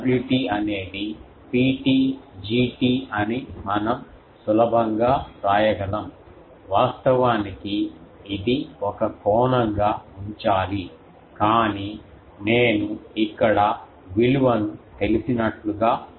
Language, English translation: Telugu, We can easily write that W t is P t G t, actually it should be retain as an angle, but I am writing that as if I know the value here